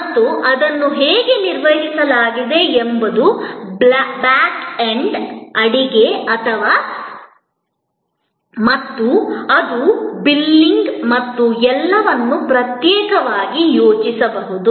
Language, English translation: Kannada, And how it managed it is back end, the kitchen and it is billing and all that, could be thought of separately